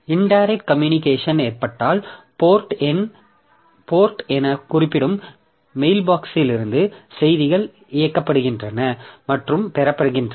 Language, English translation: Tamil, In case of indirect communication, so messages are directed and received from mail boxes also referred to as ports